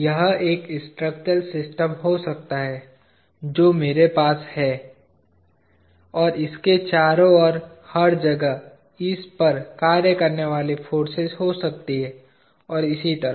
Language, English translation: Hindi, This could be a structural system that I have, and there may be forces acting on it everywhere around it and so on